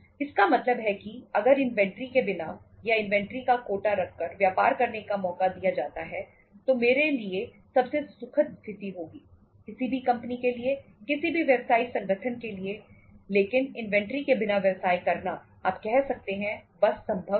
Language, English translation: Hindi, It means if given a chance to do the business without inventory or even by keeping an iota of inventory I wonít like means that would be the happiest situation for me, for any firm, any business organization but doing the business without inventory is you can say just not possible